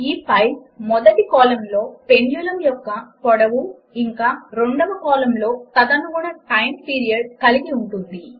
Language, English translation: Telugu, This file contains the length of the pendulum in the first column and the corresponding time period in the second